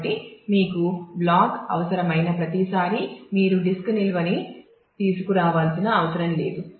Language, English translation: Telugu, So, every time you need a block you may not want to need to bring it from the; disk storage